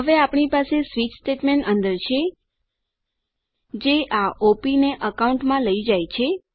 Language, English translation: Gujarati, Now we have a switch statement inside, which takes this op into account